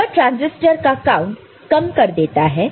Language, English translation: Hindi, That reduces the transistor count ok